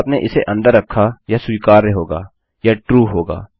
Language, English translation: Hindi, If you had that inside, that would be acceptable that would be true